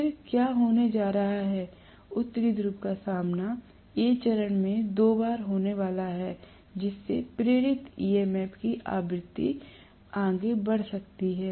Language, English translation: Hindi, Then what is going to happen is the North Pole is going to be faced by A phase winding itself twice in which case the frequency of the induced EMF can increase further